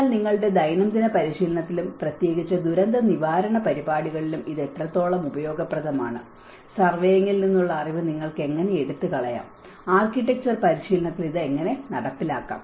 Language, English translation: Malayalam, But then to what extent it is useful in your daily practice and especially in the disaster recovery programs to how you can actually take away the knowledge from the surveying and how you can implement in the architectural practice